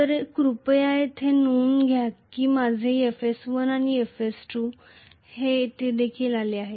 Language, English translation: Marathi, So, please note that here my FS1 and FS2 have come here